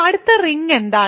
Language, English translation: Malayalam, So, what is the next ring